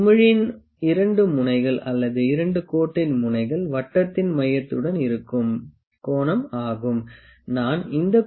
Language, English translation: Tamil, This angle is the angle that the 2 ends of the bubble 2 ends of the line make with the centre of the circle